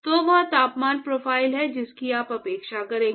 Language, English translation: Hindi, So, that is the temperature profile that you would expect